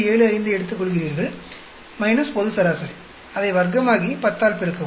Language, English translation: Tamil, 75 minus global, square it up, and multiply by 10